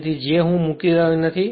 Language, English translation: Gujarati, So, j I am not putting